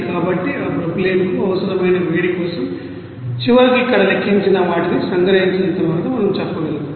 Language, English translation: Telugu, So, for that heat required for that propylene then finally we can say that after summing up all those whatever calculated here